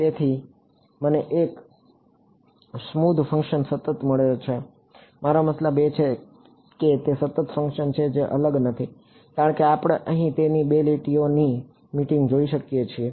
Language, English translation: Gujarati, So, I have got a smooth function continuous I mean it's a continuous function its not differentiable because we can see its like 2 lines meeting here